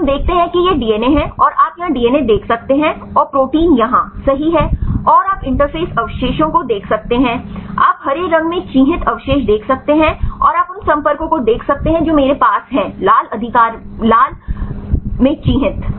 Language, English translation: Hindi, So, we see this is the DNA is here you can see the DNA here right and the protein is here right and you can see the interface residues right, you can see the residues marked in green, and you can see the contacts which I have marked in red right